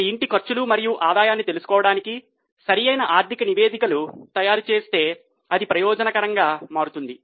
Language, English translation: Telugu, Just to know the expenses and income of a household also, if proper financial statements are prepared, then that becomes advantages